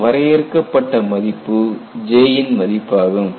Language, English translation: Tamil, And this finite value is the value of J